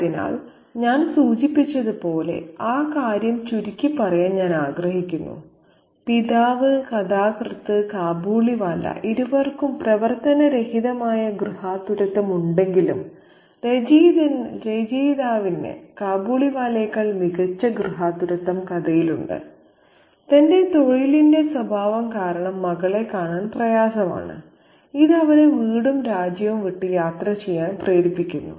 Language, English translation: Malayalam, So, as I mentioned, I just would like to sum up that point and say that the father slash author narrator and the Kabaliwala, both of them, even though both of them have dysfunctional domesticities, the author, the author figure in the story has a better domesticity than the Kabiliwala who hardly gets to see his daughter due to the nature of his profession which makes him travel away from his home and country